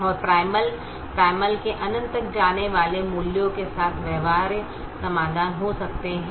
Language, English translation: Hindi, primal can have feasible solutions with values going upto infinity